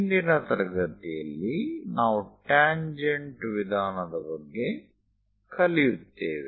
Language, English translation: Kannada, In today's class, we will learn about tangent method